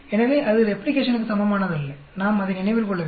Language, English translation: Tamil, So, that is not same as replication; we have to remember that